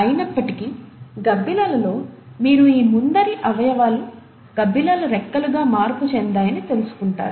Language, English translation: Telugu, Yet, you find that in bats, you have these forelimbs modified into wings of bats, which allows the bats to flipper and fly